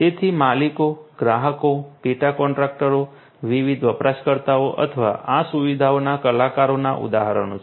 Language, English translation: Gujarati, So, owners, customers, subcontractors are examples of the different users or the actors of these facilities